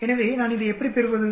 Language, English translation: Tamil, So how do I get this